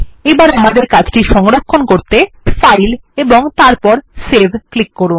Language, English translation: Bengali, Let us save our work now by clicking on File and Save